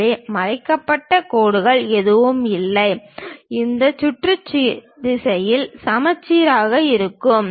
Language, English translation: Tamil, So, there are no hidden lines we will be having and is symmetric in this round direction